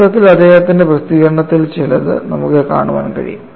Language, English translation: Malayalam, In fact, you could see some of this in his publication